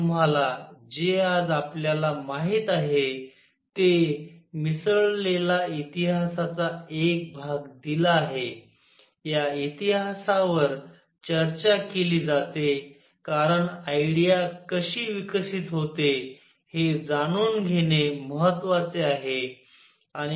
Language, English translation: Marathi, I have given you the piece of history mix with what we know today, that this history is discussed because it is important to know how idea is developed